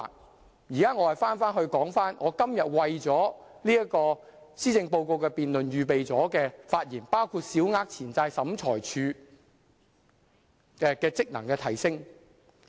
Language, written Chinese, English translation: Cantonese, 我現在返回我今天為了施政報告辯論預備了的發言，內容包括小額錢債審裁處職能的提升。, Now I come back to the speech that I have prepared for this session of the policy debate today which is about enhancing the functions of the Small Claims Tribunal